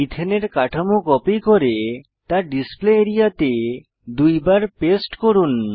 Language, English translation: Bengali, Let us copy the Ethane structure and paste it twice on the Display area